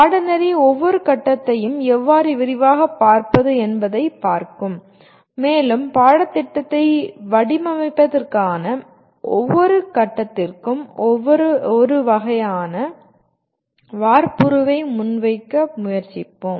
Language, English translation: Tamil, The course will look at how to look at each phase in detail and we will try to present a kind of a template for each phase for designing the course